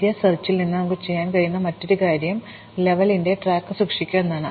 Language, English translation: Malayalam, The other thing that we can do in breadth first search is keep track of the level